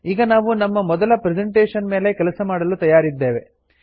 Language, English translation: Kannada, We are now ready to work on our first presentation